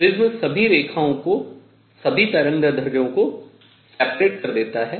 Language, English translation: Hindi, The prism separates all the lines all the wavelengths